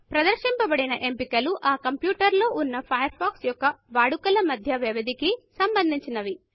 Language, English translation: Telugu, The displayed options is subject to the intervals between the usage of Firefox on that computer